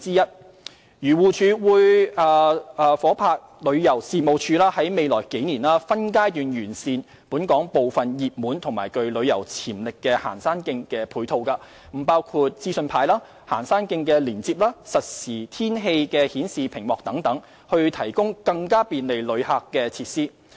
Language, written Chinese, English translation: Cantonese, 漁農自然護理署會夥拍旅遊事務署在未來數年分階段完善本港部分熱門及具旅遊潛力的行山徑的配套，包括資訊牌、行山徑連接和實時天氣顯示屏幕等，以提供更便利旅客的設施。, The Agriculture Fisheries and Conservation Department AFCD will partner with the Tourism Commission to improve in phases in the next few years some of the supporting facilities at some popular hiking trails with tourism potential in Hong Kong including information panels hiking trail links real - time weather display and so on to provide more tourist - friendly facilities